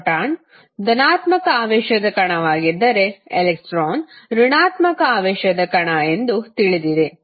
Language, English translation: Kannada, You know that the electron is negative negative charged particle while proton is positive charged particle